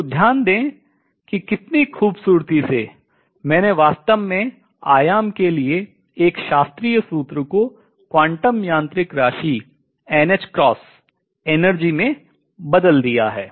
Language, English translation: Hindi, So, notice how beautifully, I have actually converted a classical formula for amplitude to a quantum mechanical quantity n h cross energy